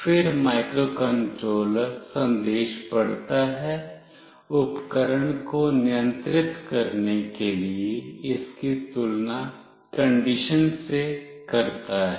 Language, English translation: Hindi, Then the microcontroller reads the message, compares it with the condition for controlling the equipment